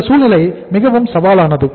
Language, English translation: Tamil, That is more challenging a situation